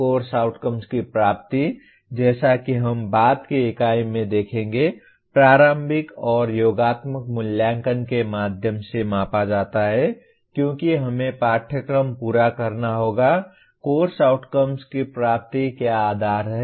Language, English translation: Hindi, The attainment of course outcomes as we will see in a later unit is measured through formative and summative assessment because we need to have to complete the course, attainment of course outcome, what is the basis